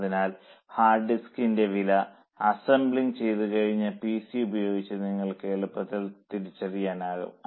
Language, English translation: Malayalam, So, the cost of hard disk you can easily identify with the particular PC which is getting assembled